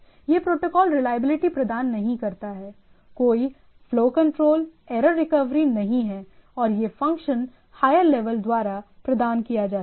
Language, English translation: Hindi, So, does not provide reliability, no flow control, no error recovery and this function can be provided by the higher layer